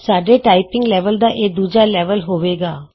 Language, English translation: Punjabi, This will be the second level in our typing lesson